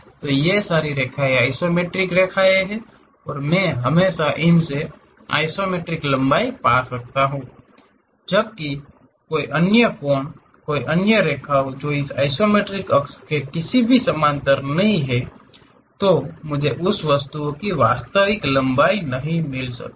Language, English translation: Hindi, So, these are isometric lines and I can always find this isometric lengths; whereas, any other angle, any other line which is not parallel to any of this isometric axis I can not really get true length of that object